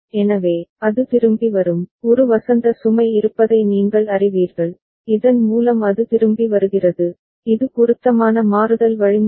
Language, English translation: Tamil, So, it will come back it you know there is a spring load by which it is coming back it is appropriate switching mechanism all right